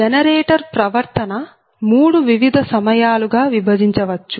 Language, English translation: Telugu, so generator behavior can be divided in to three different periods